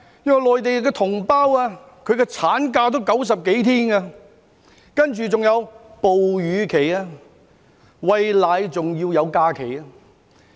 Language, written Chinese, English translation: Cantonese, 因為內地同胞的產假也有90多天，還有哺乳假期，即餵奶也有假期。, Because the Mainland compatriots do not only have more than 90 days of maternity leave they are also entitled to breastfeeding leave that is holidays for breastfeeding